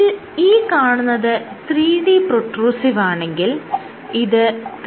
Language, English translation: Malayalam, So, this is 3D protrusive and in 3D contractile